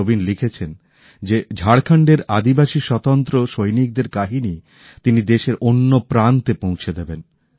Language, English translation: Bengali, Naveen has written that he will disseminate stories of the tribal freedom fighters of Jharkhand to other parts of the country